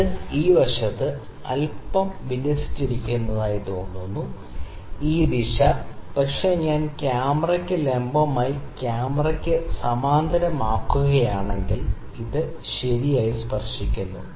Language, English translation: Malayalam, It looked like it is aligned on little this side, this direction, ok, but if I make it parallel to the camera on the straight perpendicular to the camera